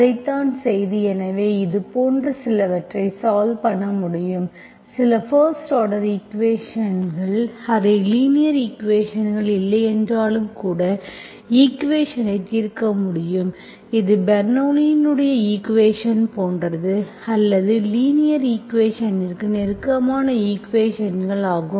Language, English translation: Tamil, That is what we have done, so like this you can solve some of the, some of the first order equations that does, that does not, even though they are not linear equations we can solve differential it is like, it is like Bernoulli s equation or equations that are close to linear equation